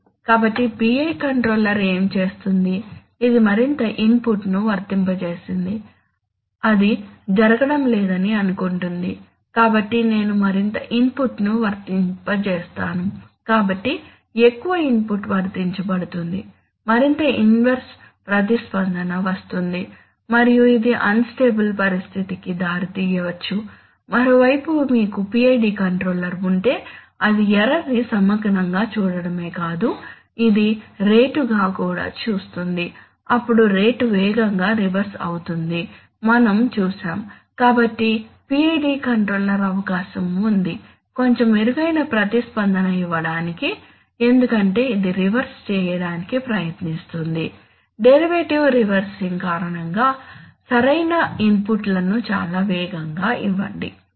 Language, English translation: Telugu, So what is the PI controller do, it applied more input, thinks that it is not going, so let me apply more input, so the more the input is applied the more inverse response will come and this might lead to an instable situation, an unstable situation, on the other hand if you have a PID controller PID controller also not only sees the error as integrals, it also sees as the rate, now as we have seen that the rate will reverse quicker, so the PID controller has is likely to give slightly better response because it will try to reverse, give correct inputs much faster because of the derivative reversing